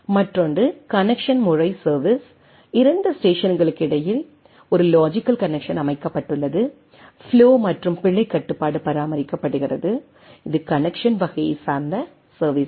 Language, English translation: Tamil, Another is the connection mode service, a logical a logical connection is set up between the 2 station, flow and error control are maintained, it is a connection oriented type of service